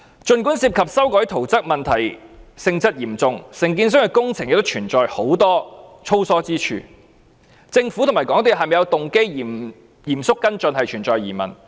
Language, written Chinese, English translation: Cantonese, 儘管涉及修改圖則問題性質嚴重，承建商的工程亦存在很多粗疏之處，政府和港鐵公司是否有動機嚴肅跟進，仍然存在疑問。, Even though the alteration of drawings is a serious problem and we have seen sloppiness on the part of the contractor in many aspects of the construction works whether the Government and MTRCL have the motive to follow up on these problems seriously is still questionable